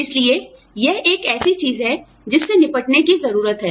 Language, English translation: Hindi, So, that is something, that needs to be dealt with